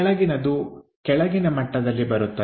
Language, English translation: Kannada, So, the bottom one comes at bottom level